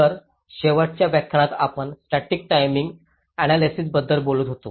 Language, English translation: Marathi, so in the last lecture we have been talking about static timing analysis